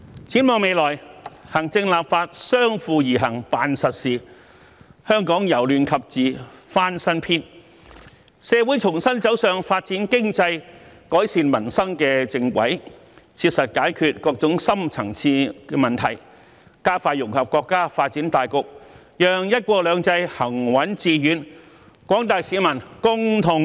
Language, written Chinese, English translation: Cantonese, 展望未來，行政立法相輔而行辦實事，香港由亂及治翻新篇，社會重新走上發展經濟、改善民生的正軌，切實解決各種深層次問題，加快融入國家發展大局，讓"一國兩制"行穩致遠，廣大市民共同受惠。, Looking ahead with the executive authorities and the legislature do practical things hand in hand Hong Kong will turn a new page from chaos to order . By going back on the right track of developing the economy and improving peoples livelihood Hong Kong will strive to solve various deep - seated problems pragmatically and integrate into the overall development of the country expeditiously thereby ensuring the steadfast and successful implementation of one country two systems and the sharing of benefits among the general public